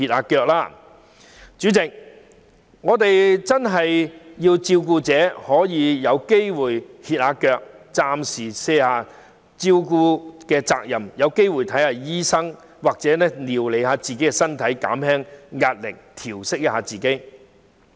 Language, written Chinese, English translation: Cantonese, 代理主席，我們真的要讓照顧者有時間歇息，暫時卸下照顧人的責任，好好料理自己的身體，調息一下，紓緩壓力。, Deputy President we do need to allow carers the time to take a break and relieve themselves of their caring responsibilities for a while so that they can take good care of their own health relax and relieve stress